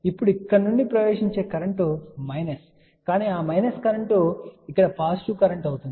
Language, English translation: Telugu, Now, the current which was entering here which was minus, but that minus current can be thing about positive current over here